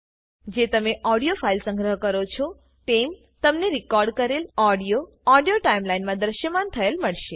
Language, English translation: Gujarati, Once you have saved the audio file, you will find that the recorded audio appears in the Audio timeline